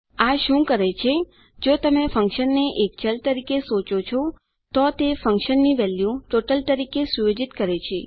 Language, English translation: Gujarati, What this does is If you think of the function as a variable it sets the functions value as the total